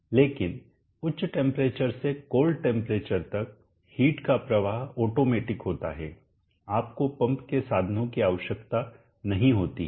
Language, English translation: Hindi, But from high temperature to cold temperature the heat flow is automatic, you do not need the means of the pump